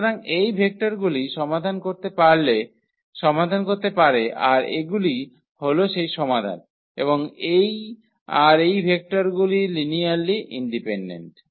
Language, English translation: Bengali, So, these vectors can the vectors that generate the solutions are these and this and these vectors are linearly independent